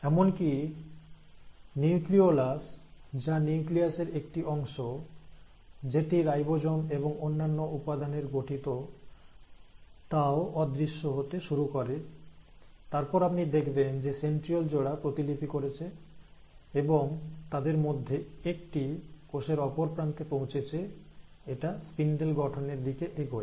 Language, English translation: Bengali, Even the nucleolus, remember nucleolus is the part of the nucleus which consists of ribosomes and other machinery also starts disappearing, and then, you find that the pair of centrioles have duplicated and one of them has reached the other end of the cell and then, these are leading to formation of spindles